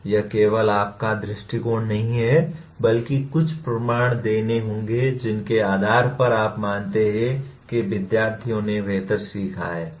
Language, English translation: Hindi, It is not your view alone, but some evidence will have to be given on basis on which you learn you thought the students have learnt better